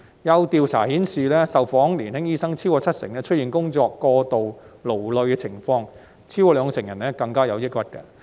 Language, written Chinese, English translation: Cantonese, 有調査顯示，超過七成受訪年輕醫生出現工作過勞的情況，超過兩成人更有抑鬱。, A survey indicates that over 70 % responding young doctors were overexerted at work and over 20 % of them even had depression